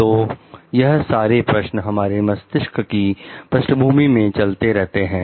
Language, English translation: Hindi, So, these questions are there at the back of our mind